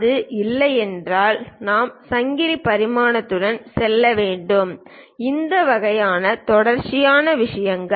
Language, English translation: Tamil, If that is not there then only, we should go with chain dimensioning; this kind of continuous thing